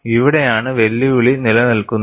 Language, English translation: Malayalam, This is where the challenge lies